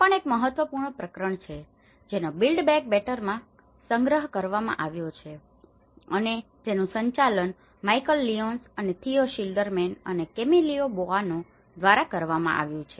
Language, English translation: Gujarati, This is also one of the important chapter which has been compiled in the build back better which has been edited by Michal Lyons and Theo Schilderman and Camillo Boano